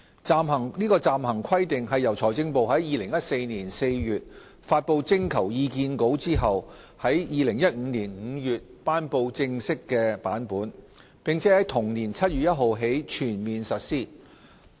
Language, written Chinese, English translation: Cantonese, 《暫行規定》由財政部於2014年4月發布徵求意見稿後，於2015年5月頒布正式版本，並在同年7月1日起全面實施。, After the issue of the exposure draft in April 2014 and the release of the official version in May 2015 by MoF the Interim Provisions have been in full implementation since 1 July 2015